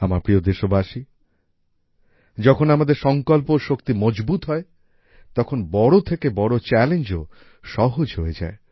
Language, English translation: Bengali, My dear countrymen, when the power of our resolve is strong, even the biggest challenge becomes easy